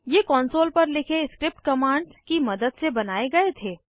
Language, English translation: Hindi, They were created with the help of script commands written on the console